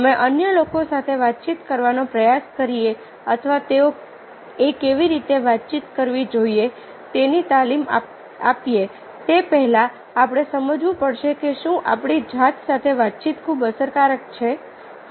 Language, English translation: Gujarati, before we try to communicate or give training to others how they should communicate, we have to understand whether communication with ourselves is very effective